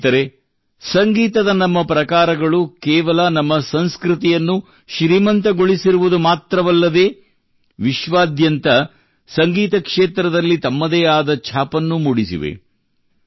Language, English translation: Kannada, Friends, Our forms of music have not only enriched our culture, but have also left an indelible mark on the music of the world